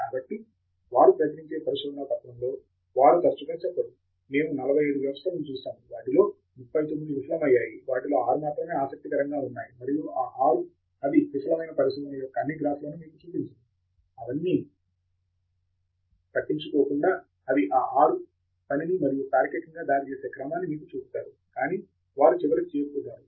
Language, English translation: Telugu, So, in the paper they publish, they do not often tell you that we looked at 45 systems out of which 39 failed, only 6 of them were interesting and those 6… they do not show you all those graphs of failed research, all of that they ignore; they just show you the 6 that work and in the order in which it logically leads to the conclusion that they have eventually reached